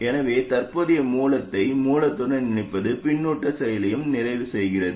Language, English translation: Tamil, So simply connecting the current source to the source also completes the feedback action